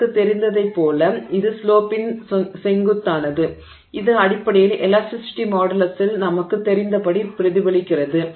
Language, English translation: Tamil, And it is this the steepness of the slope that is basically getting reflected as are you know in the elastic modulus